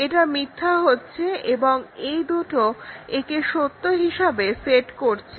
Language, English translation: Bengali, This becomes false and these two set it to true